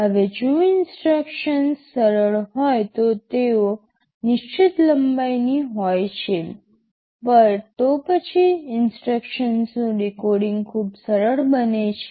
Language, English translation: Gujarati, Now if the instructions are simple they are fixed length, then decoding of the instruction becomes very easy